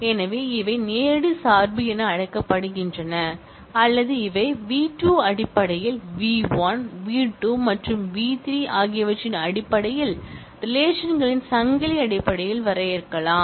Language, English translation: Tamil, So, these are called direct dependence or they could be defined in terms of a chain of relations v1 in terms of v2, v2 in terms of v3 and so on